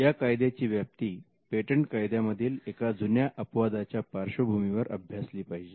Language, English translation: Marathi, You should understand this scope of this act in the light of an age old exception that was there in patent laws